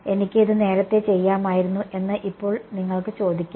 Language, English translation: Malayalam, Now you can ask I could have done this earlier also right